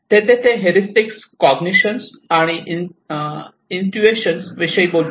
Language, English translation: Marathi, Whereas here they talk about the heuristics, cognition, and intuitions